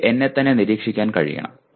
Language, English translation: Malayalam, That I should be able to monitor myself